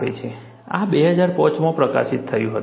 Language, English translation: Gujarati, This was published in 2005